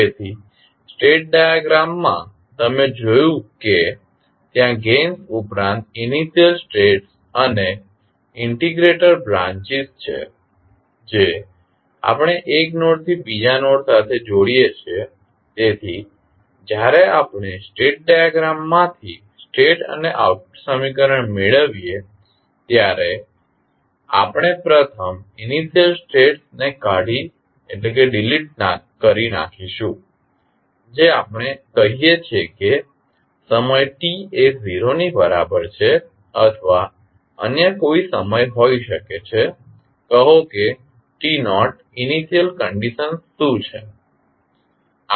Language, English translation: Gujarati, So, in the state diagram you have seen that there are initial states and integrator branches in addition to the gains, which we connect from one node to other node, so when we derive the state and the output equation from the state diagram, we first delete the initial states that is we say like time t is equal to 0 or may be any other time, say t naught what are the initial states